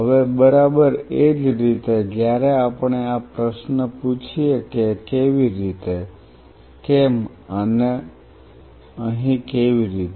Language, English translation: Gujarati, Now exactly in the same way when we ask this question how, why and how here